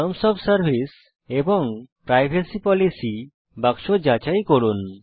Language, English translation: Bengali, Check the terms of service and privacy policy box